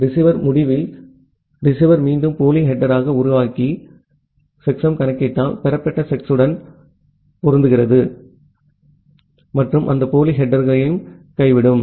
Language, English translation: Tamil, At the receiver end, receiver will again construct the pseudo header and compute the checksum make a match with the received checksum and drop that pseudo header